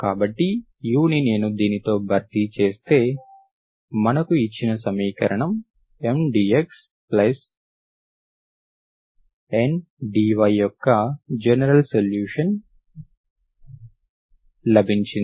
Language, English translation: Telugu, This is the general solution, general solution of the equation, of the given equation, given equation M dx plus N dy